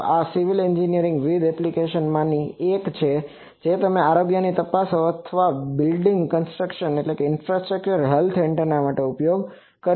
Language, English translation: Gujarati, So, this is one in civil engineering various applications like health checkup or various buildings infrastructure health this antenna is used